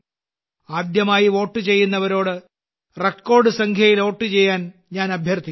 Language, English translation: Malayalam, I would also urge first time voters to vote in record numbers